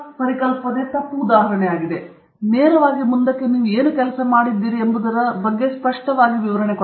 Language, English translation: Kannada, In technical paper, you want to keep it very straight, straight forward, clear cut description of what work you are doing